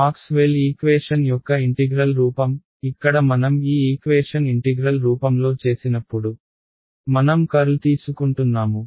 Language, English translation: Telugu, Integral form of Maxwell’s equations right, over here when I did this equation over here in integral form I got I was taking curl